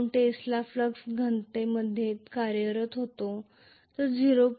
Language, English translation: Marathi, 2 tesla flux density, may be 0